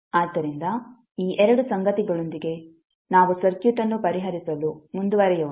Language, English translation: Kannada, So with these 2 things let us proceed to solve the circuit